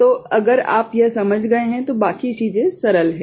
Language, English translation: Hindi, So, if you have understood this, then rest of the things are simpler